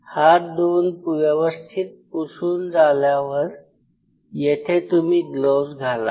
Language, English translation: Marathi, And once you are done and your wipe your hand you put on the gloves here